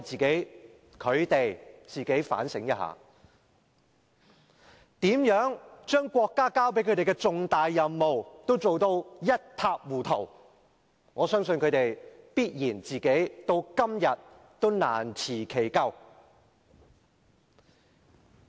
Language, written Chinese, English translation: Cantonese, 請他們自我反省一下，如何把國家交給他們的重大任務做得一塌糊塗，我相信他們到今天也難辭其咎。, I urge them to reflect on why they failed so awfully to accomplish the important mission assigned to them by the country . I believe they could hardly evade the blame even to date